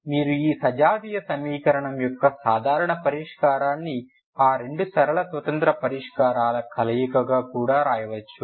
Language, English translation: Telugu, Again you can write the general solution of this homogeneous equation as a linear combination of those two linearly independent solutions ok